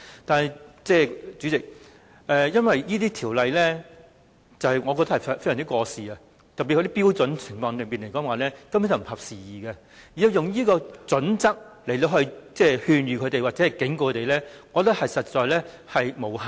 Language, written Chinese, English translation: Cantonese, 但是，主席，我認為有關條例已經非常過時，特別是有關標準根本不合時宜，如果根據有關準則來勸諭或警告院舍，我認為根本無效。, However President I think the Ordinances are already fairly out - dated and the criteria concerned are particularly untimely . If advisory or warning letters are issued to the homes on the basis of these criteria I think this will be to no avail